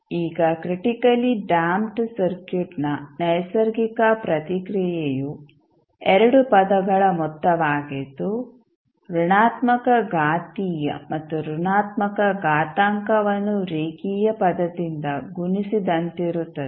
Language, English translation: Kannada, Now, the natural response of the critically damped circuit is sum of 2 terms the negative exponential and negative exponential multiplied by a linear term